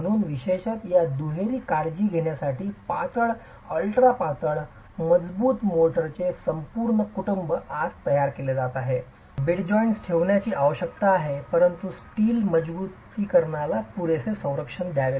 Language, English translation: Marathi, So, an entire family of thin, ultra thin, strong motors are being prepared today particularly to take care of this twin requirement of keeping joints thin but giving adequate protection to the steel reinforcement